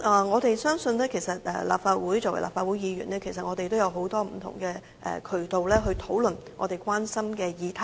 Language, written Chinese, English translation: Cantonese, 我們相信，作為立法會議員，我們其實也有很多不同渠道可以討論我們關心的議題。, We believe that in our capacity as legislators we can discuss issues that we concern through various channels